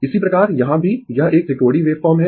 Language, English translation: Hindi, Similarly, here also it is a it is a triangular wave form